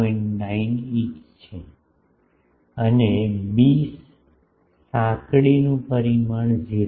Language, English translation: Gujarati, 9 inch and b the narrower dimension is 0